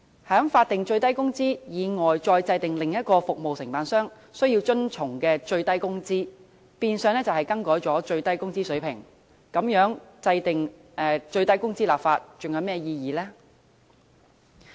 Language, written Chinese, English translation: Cantonese, 在法定最低工資以外再制訂另一個服務承辦商需要遵從的最低工資，變相更改了最低工資水平，那麼立法制訂最低工資還有何意義呢？, The formulation of another minimum wage requiring compliance by contractors on top of the statutory minimum wage is de facto a revision of the minimum wage . Such being the case what meaning is there in enacting legislation for a minimum wage?